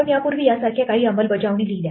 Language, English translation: Marathi, We already wrote some our own implementation of this earlier